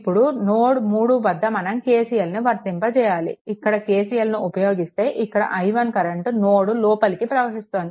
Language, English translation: Telugu, Then here if you to apply your KCL at node 3, here, if you apply KCL, then this i 1 current actually entering into this node right